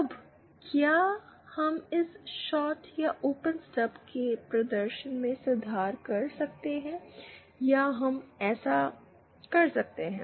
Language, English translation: Hindi, Now, can we improve the performance of this shorted or open stub, can we do that